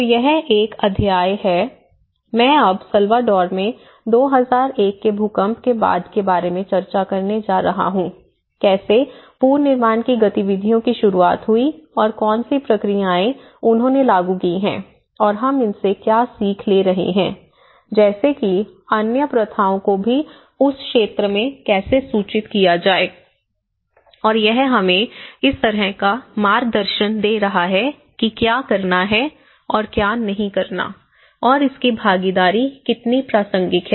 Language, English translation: Hindi, So, this is a chapter, I am going to discuss on how after 2001 earthquake in El Salvador, how the reconstruction activities have started and what are the processes that they have implemented and what are the learnings we are taking back for that how it has informed the other practices also and in that region and it is also giving us some kind of guidance what to do and what not to do and how community participation is also very relevant